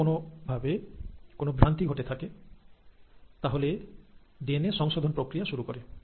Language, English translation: Bengali, If at all some damage has happened, then the repair mechanism, the DNA repair mechanism happens